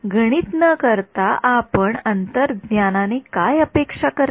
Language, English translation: Marathi, So, without doing the math, what do you intuitively expect